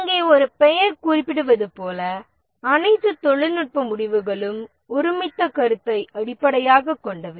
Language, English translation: Tamil, Here as the name implies, all technical decisions are based on consensus